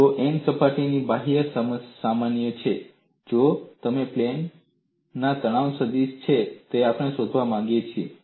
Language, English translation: Gujarati, If n is the outward normal of a surface, then the stress vector on that plane is what we want to find